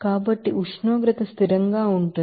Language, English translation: Telugu, So, there will be a temperature is constant